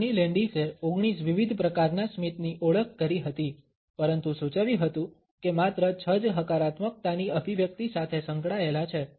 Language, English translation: Gujarati, Carney Landis identified 19 different types of a smiles, but suggested that only six are associated with the expression of positivity